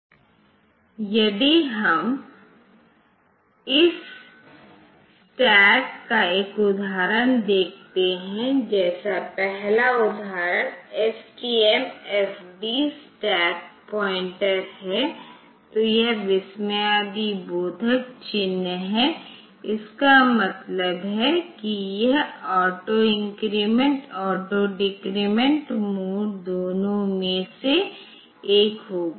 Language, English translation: Hindi, So, if we look into an example of this stack, like The first example is STMFD stack pointer, then this exclamatory mark is there means it will be following that auto increment, auto decrement mode either of them